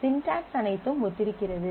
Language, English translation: Tamil, So, again the syntax is all similar